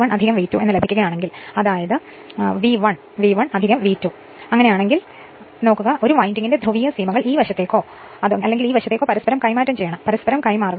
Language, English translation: Malayalam, So, everything is marked actually if you get V 1V 1 plus V 2, then the p[olarity margins of one of the winding must be interchanged either this side or this side; you just interchange right